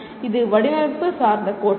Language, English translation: Tamil, It is a design oriented theory